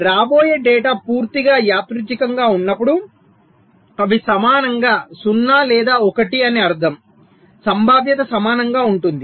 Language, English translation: Telugu, so when the data which is coming is totally random, which means they are equally zero or one, the probabilities are equal